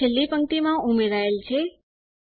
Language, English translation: Gujarati, There it is, appended in the last row